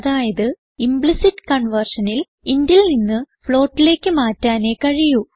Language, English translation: Malayalam, Explicit conversion can also be used to convert data from int to float